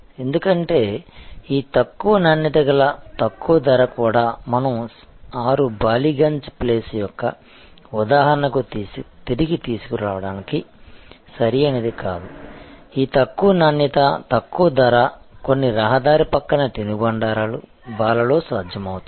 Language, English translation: Telugu, Because, these low quality low price also is not like if we take that again back to that example of 6 Ballygunge place, this low quality, low price maybe possible in some road side snack bars and so on